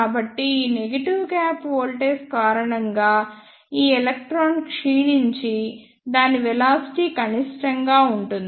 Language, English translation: Telugu, So, because of this negative gap voltage, this electron will be decelerated and its velocity will be minimum